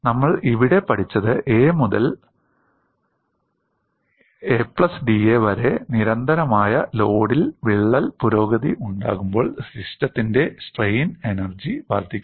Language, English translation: Malayalam, And what we have learnt here is, under constant load when there is an advancement of crack from a to a plus d a, the strain energy of the system increases